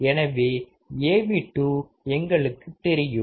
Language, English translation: Tamil, So, we now know Av2 as well